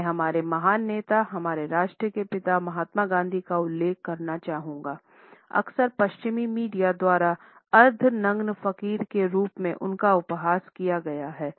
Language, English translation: Hindi, I would like to refer to our great leader, the father of our nation Mahatma Gandhi who was often ridiculed by the western media as the half naked fakir